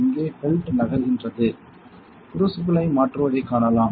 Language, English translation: Tamil, So, you can see the belt here moving that changes the crucible